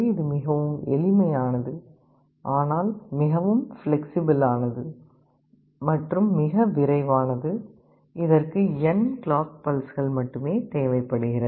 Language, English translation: Tamil, It is simple in concept, but very flexible and very fast; this requires only n number of clock pulses